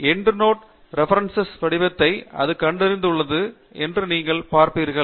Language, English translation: Tamil, And you would see that it has detected the Endnote Reference format